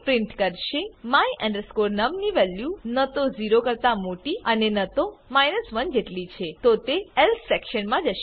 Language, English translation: Gujarati, The value of my num is neither greater than 0 nor equal to 1 it will go into the else section